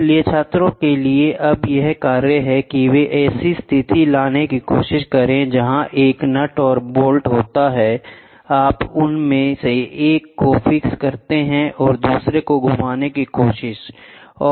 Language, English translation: Hindi, So, task for the student try to take a situation where there is a nut and bolt, you fix one of them and try to rotate the other, ok